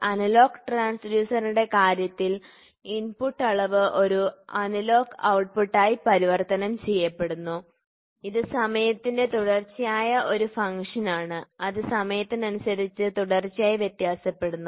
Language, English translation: Malayalam, So, it is continuously increase and decreasing analogous or digital transducers in case of analogous transducer, the input quantity is converted into an analogous output which is continuous function of time which continuously varies with time varying with time